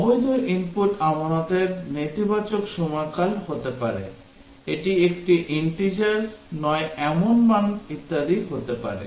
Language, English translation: Bengali, Invalid input can be negative period of deposit; it can be a non integer value and so on